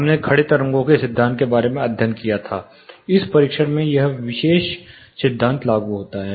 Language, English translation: Hindi, We studied about the principle standing waves; this particular principle is applied in this testing